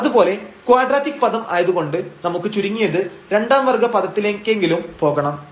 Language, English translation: Malayalam, Similarly, we need because for the quadratic term we need at least we need to go to the second order term so f xx